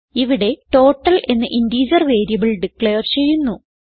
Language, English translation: Malayalam, Here we have declared an integer variable total